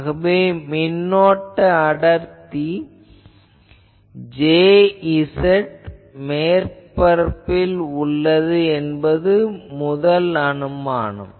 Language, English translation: Tamil, So, the first assumption of this is the current density J z is on surface